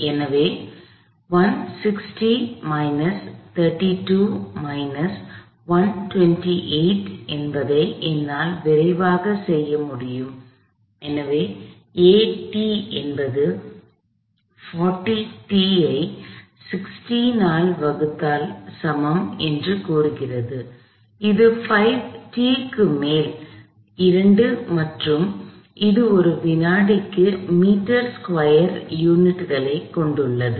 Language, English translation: Tamil, So, I can quickly do this 160 minus 32 minus 128 is simply, so this says a of t equals 40 t divided by 16, which is 5 t over 2 and this is units of meters per second squared